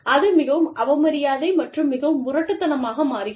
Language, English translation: Tamil, That becomes, very disrespectful, and very rude